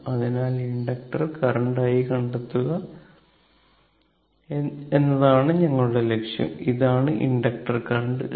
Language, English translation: Malayalam, So, our objective is to find the inductor current i, this is the inductor current i, right